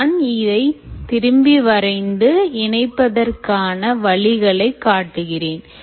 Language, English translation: Tamil, so let me redraw this and show that this is a possibility